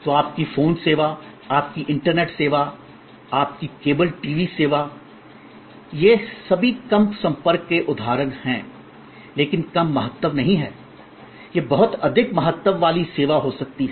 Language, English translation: Hindi, So, your phone service, your internet service, your cable TV service, these are all examples of low contact, but not low importance, it could be very high importance service